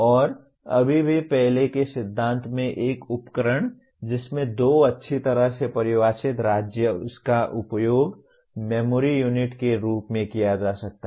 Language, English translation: Hindi, And still earlier principle a device that has two well defined states can be used as a memory unit